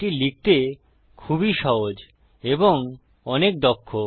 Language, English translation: Bengali, It is easier to write and much more efficient